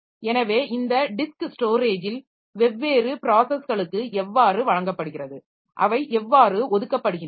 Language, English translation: Tamil, So this, how this disk storage is given to different processes, how are they allocated